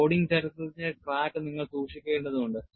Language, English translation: Malayalam, You have to keep track of the loading history